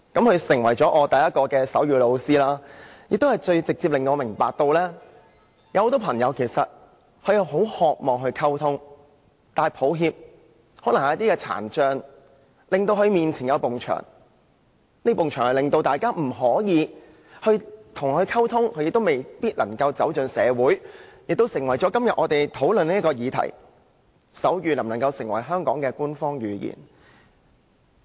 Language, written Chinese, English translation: Cantonese, 他成為我首位手語老師，亦最直接地令我明白，有很多朋友其實很渴望與人溝通，但可惜，可能由於聽障的緣故，他們與別人之間出現一道牆壁，令大家未能與他們溝通，而他們也未必能走進社會，這成為我們今天討論的議題：手語能否成為香港的官方語言？, He became my first sign language teacher and his case gave me a first - hand understanding of one thing many people actually long to communicate with others but very sadly perhaps due to hearing impairment there is a wall between them and others . They are thus unable to communicate with others and may thus fail to integrate into society . This gives rise to our motion topic today can sign language be made an official language of Hong Kong?